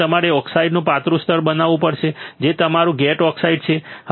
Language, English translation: Gujarati, So, you have to grow thin layer of oxide right which is your gate oxide